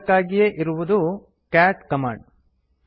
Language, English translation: Kannada, For this we have the cat command